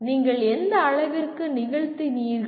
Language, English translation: Tamil, To what extent you have performed